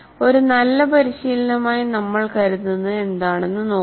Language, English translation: Malayalam, Now let us look at what we consider as a good practice